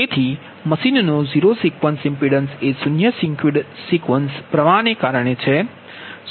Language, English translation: Gujarati, so zero sequence impedance of the machine is due to the flow of the zero sequence current